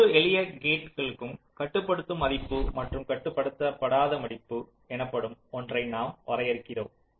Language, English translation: Tamil, for every simple gate, we define something called a controlling value and a non controlling value